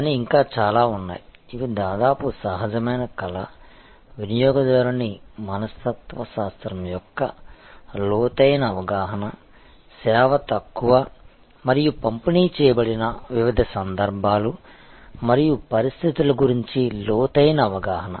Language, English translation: Telugu, But, there are several still, which almost is intuitive art, deep understanding of the consumer psychology, deep understanding of the different occasions and situations in which service is short and delivered